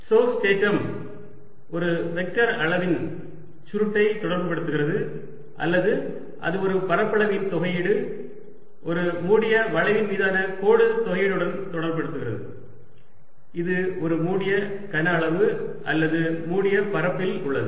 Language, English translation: Tamil, stokes theorem relates the curl of a vector quantity or its integral over an area to its line integral over a closed curve, and this over a closed volume or close surface